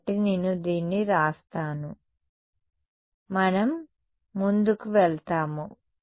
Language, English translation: Telugu, So, let me write this down same we go ahead